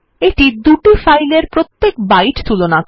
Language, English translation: Bengali, It compares two files byte by byte